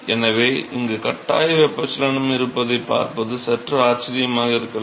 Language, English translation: Tamil, So, it might be a bit surprising to see forced convection here